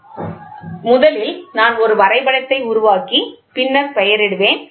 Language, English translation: Tamil, So, first let me make the diagram and then name it